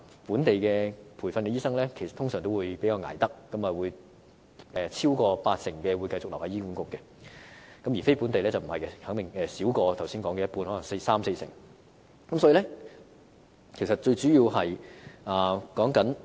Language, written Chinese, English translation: Cantonese, 本地培訓的醫生通常都比較不怕捱苦，超過八成會繼續留在醫管局，而非本地培訓的醫生則少於剛才所說的一半，只有大約三至四成。, Locally trained doctors are generally more resilient to hardships as over 80 % of them stayed in HA whereas the number of non - locally trained doctors is not even up to half of the locally trained doctors as only about 30 % to 40 % of them remained in HA